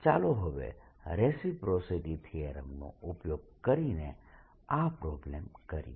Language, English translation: Gujarati, only let us now do this problem using reciprocity theorem